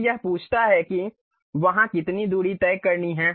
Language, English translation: Hindi, Then it ask how much distance it has to be there